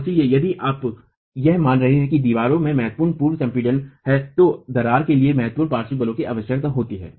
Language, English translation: Hindi, And therefore if you are assuming that there is significant pre compression in the wall, significant lateral forces required for cracking to occur